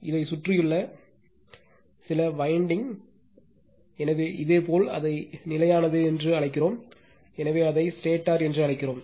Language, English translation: Tamil, And surrounded by some winding so you call it is static, so we call it is stator